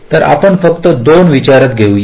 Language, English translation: Marathi, so lets consider only two